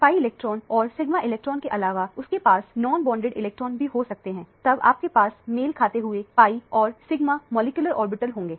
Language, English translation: Hindi, In addition to pi electrons and sigma electron, they can also have the non bonded electron then you will have the corresponding pi star molecular orbital and the sigma star molecular orbital